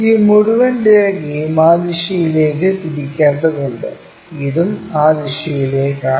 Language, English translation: Malayalam, This entire line has to be rotated in that direction and this one also in that direction